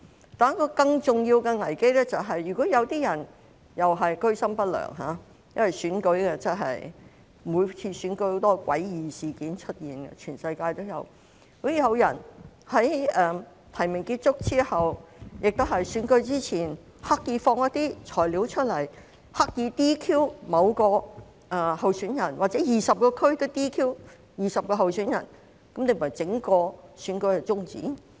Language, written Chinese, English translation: Cantonese, 可是，一個更重要的危機是，如果有人居心不良——因為每次選舉也有很多詭異事件出現，全世界也有——如果有人在提名結束後或選舉前，刻意放出一些"材料"，企圖使某名候選人被 "DQ"， 甚至導致20名候選人在各區被 "DQ"， 整個選舉豈非要終止？, Yet a more serious crisis is that if someone has an unscrupulous intention―because in every election many strange things would happen and such is the case around the world―if after the close of nominations or before the election someone deliberately releases some materials in an attempt to cause a certain candidate to be disqualified or even lead to the disqualification of 20 candidates in the various districts does that mean the whole election has to be terminated?